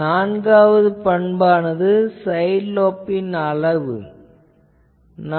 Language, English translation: Tamil, And the 4th property is; what is the side lobe level